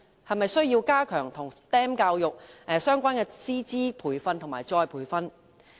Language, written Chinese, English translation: Cantonese, 是否需要加強與 STEM 教育相關的師資培訓和再培訓呢？, Should teachers training and retraining on STEM education be stepped up?